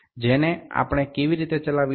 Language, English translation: Gujarati, How do we operate this one